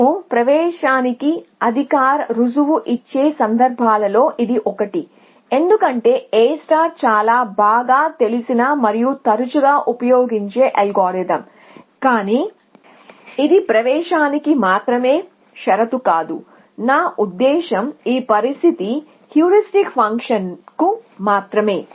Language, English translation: Telugu, So, this is one of the few cases where we will give a formal proof of admissibility because, A star is a very well known and often used algorithm, but this is not the only condition for admissibility I mean this was the condition only with respect to the heuristic function